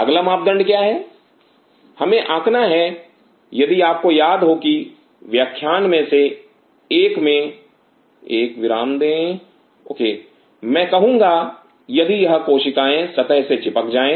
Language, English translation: Hindi, Next parameter is this we have to figure if you remember that in one of the lectures is give a pause I say if these cells adhered to the surface